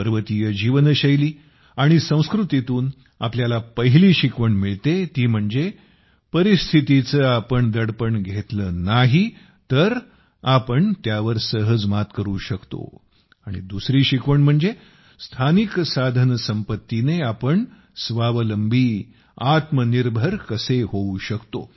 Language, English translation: Marathi, The first lesson we get from the lifestyle and culture of the hills is that if we do not come under the pressure of circumstances, we can easily overcome them, and secondly, how we can become selfsufficient with local resources